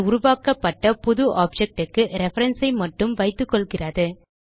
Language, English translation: Tamil, It only holds the reference of the new object created